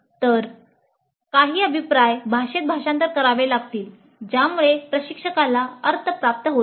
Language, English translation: Marathi, So some feedback has to be translated into a language that makes sense to the instructor